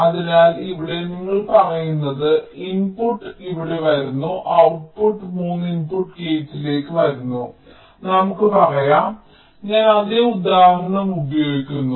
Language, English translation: Malayalam, so here what you are saying is that the input is coming here, the output is coming to a three input gate